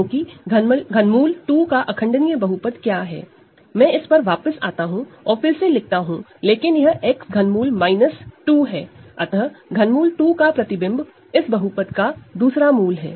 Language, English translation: Hindi, Because, what is irreducible polynomial of cube root of 2, I will come back to this and write it again, but it is X cube minus 2; so, image of cube root of 2 has to be another root of that polynomial